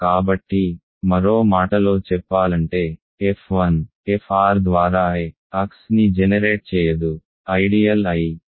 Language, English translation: Telugu, So, in other words f 1 through f r cannot generate X, the ideal I